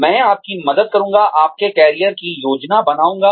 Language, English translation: Hindi, I will help you, plan your own careers